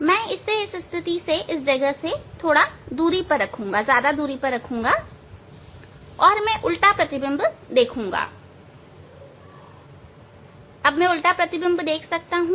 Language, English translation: Hindi, I will keep it at the higher distance than this position and I will see the inverted image, I will see the inverted image yes, I can see the inverted image; so, I can see the inverted image